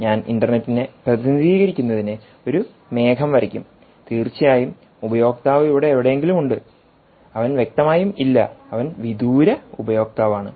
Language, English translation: Malayalam, essentially, i will draw a cloud to represents the internet ah and of course, the user is somewhere here, right, and he, obviously he is not present